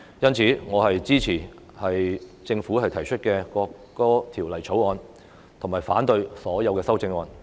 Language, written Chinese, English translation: Cantonese, 因此，我支持政府提出的《條例草案》，以及反對所有的修正案。, Therefore I support the Bill introduced by the Government and oppose all the amendments